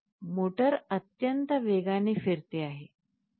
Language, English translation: Marathi, So, see the motor is rotating at a very high speed, high speed